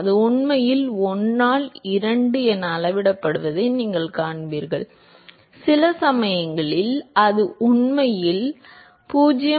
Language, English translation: Tamil, There you will see that it actually scale as 1 by 2 and sometimes it actually scales a 0